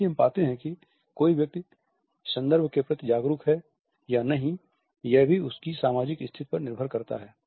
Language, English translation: Hindi, At the same time we find that whether a person is mindful of the context or not also depends on the social positions